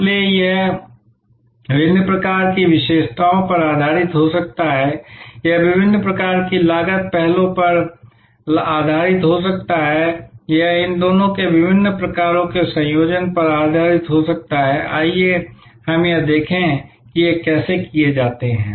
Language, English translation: Hindi, So, it could be based on different types of features, it could be based on different types of cost initiatives, it could be based on different types of combinations of these two, let us look at how these are done